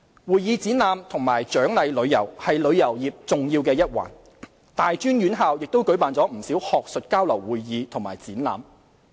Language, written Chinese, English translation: Cantonese, 會議展覽及獎勵旅遊是旅遊業重要一環，大專院校亦舉辦不少學術交流會議和展覽。, Meetings Incentives Conventions and Exhibitions MICE travel is one of the important aspects of tourism . A good number of academics exchange sessions and MICE events are also held at tertiary institutions